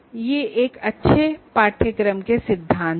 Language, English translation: Hindi, These are the principles of any good course